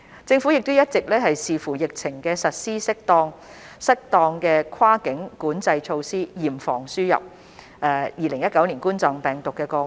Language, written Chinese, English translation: Cantonese, 政府一直視乎疫情實施適當的跨境管制措施，嚴防輸入2019冠狀病毒病個案。, The Government has been implementing suitable cross - boundary control measures having regard to the epidemic situation to prevent importation of COVID - 19 cases